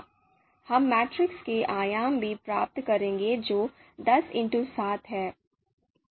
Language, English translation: Hindi, We will also get the you know you know dimensions of the matrix which is ten by seven